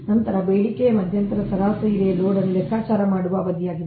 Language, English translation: Kannada, right then demand interval: it is the time period over which the average load is computed